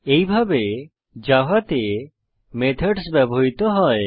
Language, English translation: Bengali, This is how methods are used in java